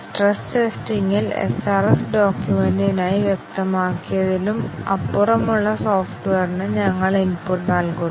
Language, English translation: Malayalam, In stress testing, we give input to the software that is beyond what is specified for the SRS document